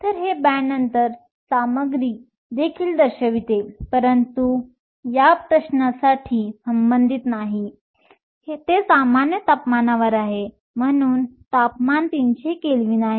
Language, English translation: Marathi, So, also a direct band gap material, but that is not relevant for this question, it is at room temperature, so temperature is 300 Kelvin